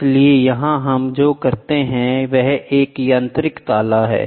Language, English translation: Hindi, So, here what we do is there is a mechanical lock